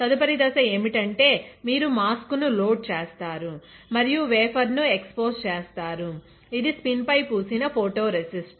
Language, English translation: Telugu, Next step is, you load the mask, load mask and expose the wafer, which is spin coated with photoresist